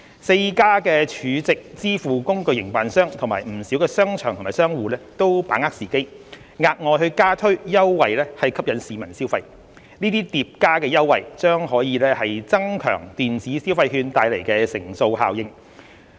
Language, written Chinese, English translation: Cantonese, 四間儲值支付工具營辦商及不少商場或商戶都把握時機，額外加推優惠吸引市民消費，這些疊加優惠將可增強電子消費券帶來的乘數效應。, The four stored value facility SVF operators and a lot of shopping centres or merchants have seized the opportunity to introduce extra promotions to attract spending by the people . These additional promotions will reinforce the multiplier effect of the electronic consumption vouchers